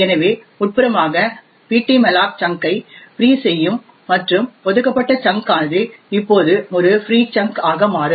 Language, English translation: Tamil, So internally ptmalloc would free the chunk and the allocated chunk would now become a free chunk